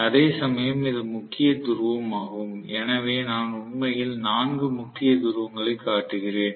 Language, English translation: Tamil, Whereas this is salient pole, so salient pole if I show actually 4 poles